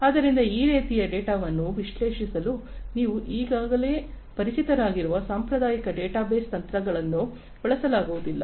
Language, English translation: Kannada, So, you cannot use the traditional database techniques that you are already familiar with in order to analyze this kind of data